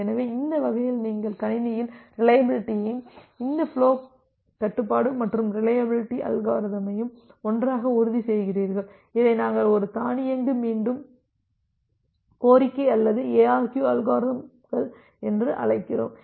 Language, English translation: Tamil, So, that way you are also ensuring reliability in the system and this flow control and reliability algorithm all together, we call it as a automatic repeat request or ARQ algorithms